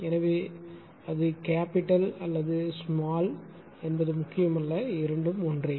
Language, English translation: Tamil, So, it does not matter whether it is capital or small both are same right